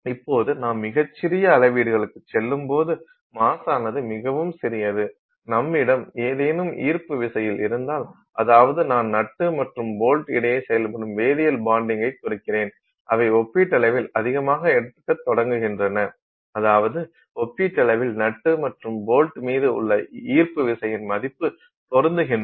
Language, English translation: Tamil, Now when you go to extremely tiny scales the mass is so small that if you have any attractive forces, I mean you know chemical bonding forces which are also acting between the nut and the bolt they start taking relatively higher, I mean relatively they start matching the value of the gravitational pull on the nut and the bolt